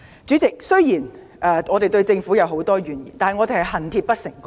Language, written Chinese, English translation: Cantonese, 主席，我們雖然對政府有很多怨言，但只是出於恨鐵不成鋼之心。, President although we have many grievances against the Government just because it fails to meet our high expectations